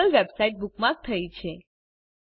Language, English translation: Gujarati, The google website is bookmarked